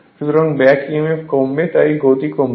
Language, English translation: Bengali, So, back Emf will decrease therefore, speed will decrease